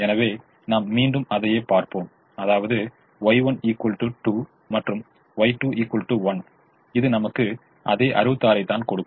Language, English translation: Tamil, therefore, i will go back and y is equal to two and y two is equal to one, which gives me the same sixty six it's